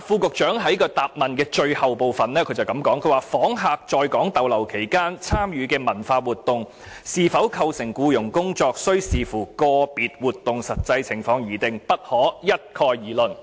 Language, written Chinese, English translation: Cantonese, 局長在主體答覆的最後部分說"訪客在港逗留期間參與文化活動是否構成僱傭工作，須視乎個別活動的實際情況而定，不可一概而論。, The Secretary said in the last part of his main reply that whether visitors participation in cultural exchange programmes during their stay in Hong Kong constitutes employment depends on the actual circumstances of the individual event and cannot be generalized